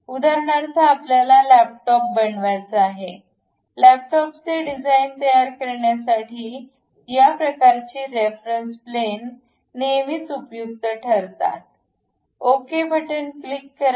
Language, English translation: Marathi, For example, you want to make a laptop, design a laptop; then this kind of reference planes always be helpful, let us click ok